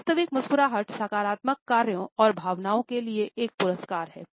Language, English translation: Hindi, Genuine smiles are a reward for positive actions and feelings